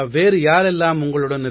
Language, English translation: Tamil, Who else is there with you